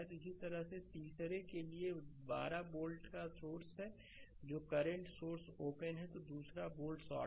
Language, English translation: Hindi, Similarly for the third one the 12 volt source is there current source is open and another volt is shorted right